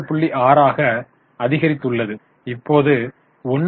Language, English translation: Tamil, 6 and now 1